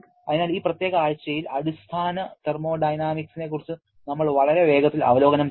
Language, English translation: Malayalam, So, we had a very quick review of your basic thermodynamics in this particular week